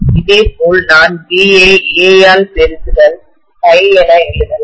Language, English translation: Tamil, Similarly I can write phi as B multiplied by A